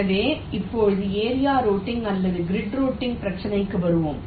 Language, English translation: Tamil, ok, so let us now come to the problem of area routing or grid routing